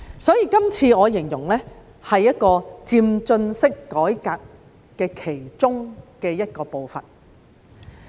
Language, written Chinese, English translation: Cantonese, 所以，這次我形容是漸進式改革的其中一部分。, Therefore I would describe these proposals as part of an incremental or progressive reform